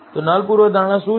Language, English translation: Gujarati, So, what is the null hypothesis